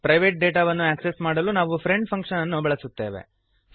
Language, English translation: Kannada, To access the private data we use friend function